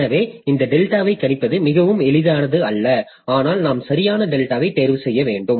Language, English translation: Tamil, , it is not very easy to predict this delta, but we have to choose a proper delta